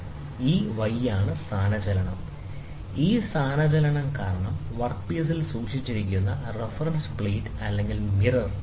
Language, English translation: Malayalam, And y is this displacement; this displacement is because the reference plate or the mirror, which is kept on the work piece, this is the work piece